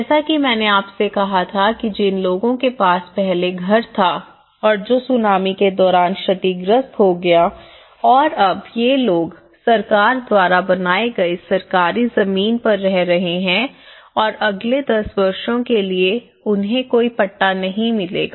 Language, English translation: Hindi, As I said to you that the people who had a house, earlier and which was damaged during tsunami and now, these people which who got in the government land and built by the government for the next ten years they donÃt get any Patta